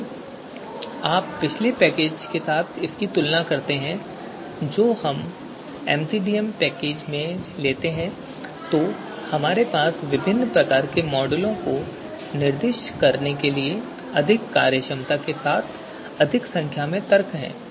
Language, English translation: Hindi, If you compare with the previous package that is you know MCDA package so we have more number of arguments with more functionality to specify different kinds of models